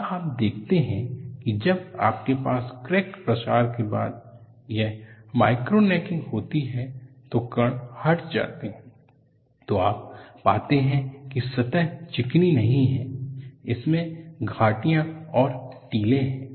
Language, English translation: Hindi, And you see, when you have this micro necking followed by crack propagation, because you have particles are removed, you find the surface is not smooth, it has valleys and mounts